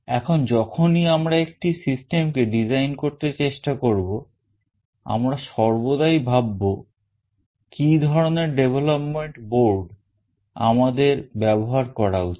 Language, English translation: Bengali, Now when we try to design a system, we always think of what kind of development board we should use